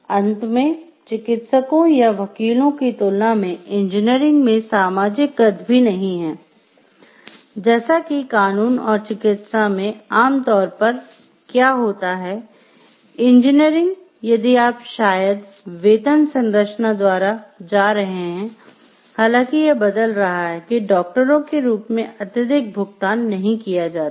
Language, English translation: Hindi, Finally, engineering does not have the social stature that law and medicine have generally what happens is engineers, if you are going by maybe the pay structure, though it is changing are not that highly paid as that of doctors